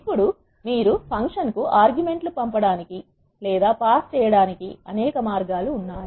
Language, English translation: Telugu, Now, there are several ways you can pass the arguments to the function